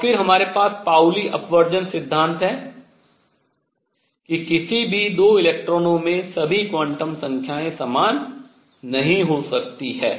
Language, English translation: Hindi, And then we have the Pauli Exclusion Principle, that no 2 electrons can have all numbers the same